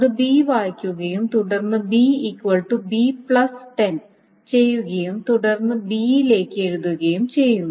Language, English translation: Malayalam, So then it writes, then it reads B, then it does b is equal to B plus set and then writes to B